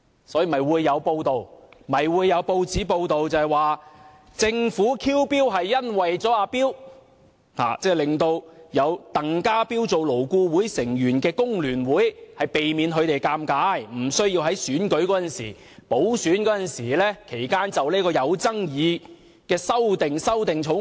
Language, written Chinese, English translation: Cantonese, 所以，有報章報道，政府 "kill bill" 是為了"阿彪"，令有鄧家彪做勞顧會成員的工聯會避免尷尬，無須在補選期間就有爭議的《條例草案》修正案投票。, That was why it was reported in the press that the Government killed the Bill for the sake of TANG Ka - piu an FTU member appointed to LAB so as to save FTU from being put in the awkward situation of having to vote on the controversial amendments to the Bill during the by - election period